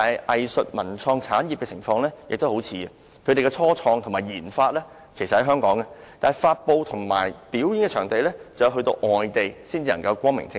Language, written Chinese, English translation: Cantonese, 藝術文創產業的情況與此十分相似，其"初創及研發"設於香港，但發布和展演卻要到外地才能光明正大。, The arts cultural and creative industries are in a similar situation while their start - up and RD activities are in Hong Kong they can only release and showcase their products openly outside Hong Kong